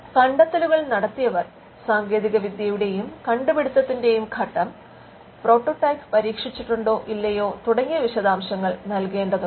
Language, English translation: Malayalam, Their inventors are required to provide details such as, stage of development of the technology and invention and whether or not a prototype has been tested